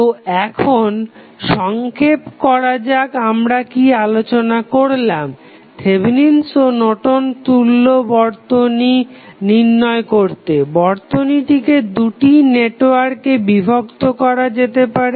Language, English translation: Bengali, So, now, let us summarize what we discussed in case of Thevenin's and Norton's equivalent to determine the Thevenin's or Norton's equivalent the circuit can divided into 2 networks